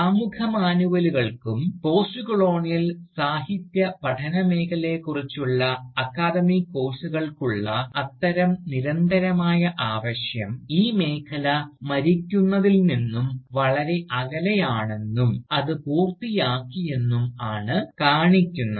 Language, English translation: Malayalam, And, such continuing demand for Introductory Manuals, and Academic Courses on Postcolonial Literary studies show, that the field is clearly far from being dead, and done with